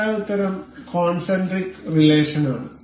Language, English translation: Malayalam, The correct answer is concentric relation